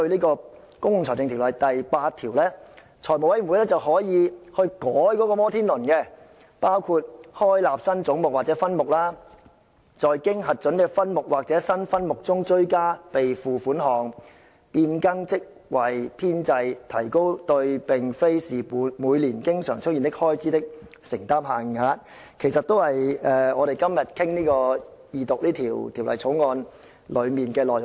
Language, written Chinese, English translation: Cantonese, 根據《條例》第8條，財務委員會可對"摩天輪"作出修改，包括開立新總目或分目、在經核准的分目或新分目中的追加備付款項、變更職位編制及提高對並非是每年經常出現的開支的承擔限額，其實全部關乎我們今天二讀《條例草案》的內容。, According to section 8 of PFO the Finance Committee may make changes to the Ferris wheel which include providing for the creation of new heads or subheads; supplementary provision in approved or new subheads; variations in the establishments of posts and increases in the limit to the commitments which may be entered into in respect of expenditure which is not annually recurrent . Actually all these matters are related to the content of the Second Reading of the Bill today